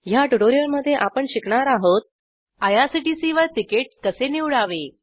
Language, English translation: Marathi, In this tutorial we will learn How to choose a ticket at irctc